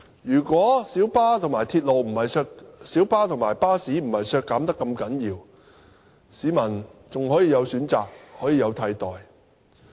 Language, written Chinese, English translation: Cantonese, 如果小巴和巴士不是如此大幅削減，市民還可以有選擇，可以有替代。, The public can still have choices or alternatives if minibus and bus services were not trimmed substantially